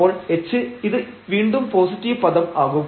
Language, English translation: Malayalam, So, h is the again this will be a positive term